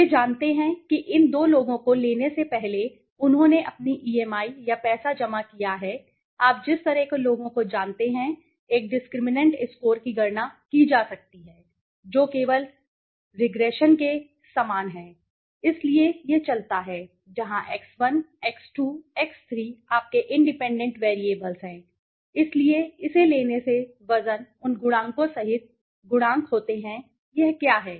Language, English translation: Hindi, They have you know before they have submitted their EMI or money so by taking these 2 people kind of people you know a discriminant score can be calculated which is very similar to a regression only right so it goes on right so where x1, x2, x3 are your independent variables so by taking this then the weights are the coefficients by including those coefficients what it does is